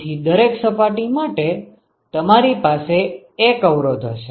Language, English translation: Gujarati, So, you have 1 resistance for every surface